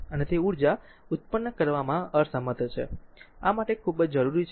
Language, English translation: Gujarati, And it is incapable of generating energy, this is very important for you